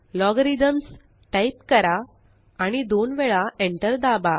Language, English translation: Marathi, Type Logarithms: and press Enter twice